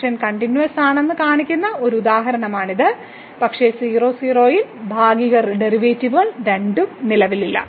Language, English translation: Malayalam, So, that is a one example which shows that the function is continuous, but the partial derivative both the partial derivatives do not exist at